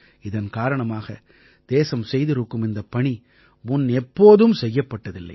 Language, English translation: Tamil, This is why the country has been able to do work that has never been done before